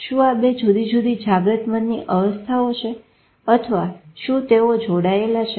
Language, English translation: Gujarati, Are these two different states of consciousness in mind or are they connected